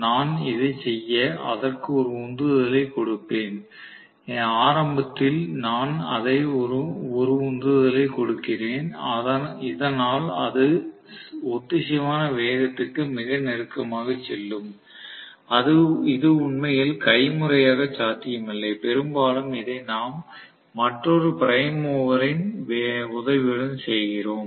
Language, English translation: Tamil, Unless, I probably give it a push, let say initially I give it a push and I get it very close to synchronous speed, which is actually not manually possible, very often we do this with the help of another prime mover, we try to get it up to speed close to synchronous speed